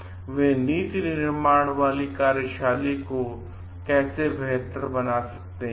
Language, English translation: Hindi, And how they can make things improve on the policy making